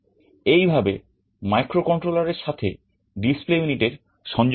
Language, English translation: Bengali, This is how you make the connection microcontroller to the display unit